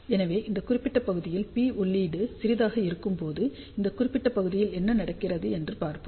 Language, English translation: Tamil, So, when P input is small in this particular region, so let us see what happens in this particular region